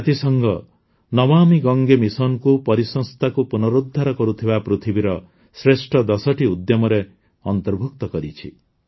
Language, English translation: Odia, The United Nations has included the 'Namami Gange' mission in the world's top ten initiatives to restore the ecosystem